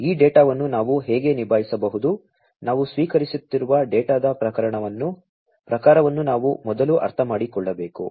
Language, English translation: Kannada, How we can deal with this data, we need to first understand the type of data, that we are receiving